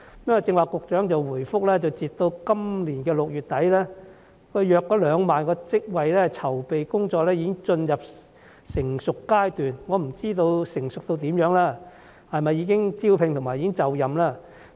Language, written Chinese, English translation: Cantonese, 局長剛才答覆時表示，截至今年6月底，大約2萬個職位的籌備工作已經進入成熟階段，我不知道成熟程度如何，是否已經進行招聘或受聘人士已經就任？, The Secretary said in his earlier reply that as at end of June the planning of around 20 000 jobs has reached an advanced stage . I do not know how advanced the stage is; has recruitment been conducted or have the recruits taken up the positions?